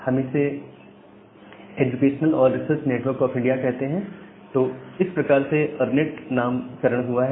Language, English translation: Hindi, So, we call it as educational and research network of India so that way the name ERNET came from